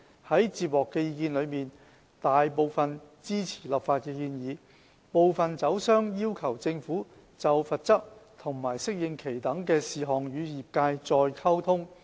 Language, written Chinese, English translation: Cantonese, 在接獲的意見書中，大部分支持立法的建議，部分酒商要求政府就罰則和適應期等事項與業界再溝通。, Among the submissions received the majority supports the legislative proposals and some liquor vendors have asked the Government for further communication with the industry on such issues as penalty and adaptation period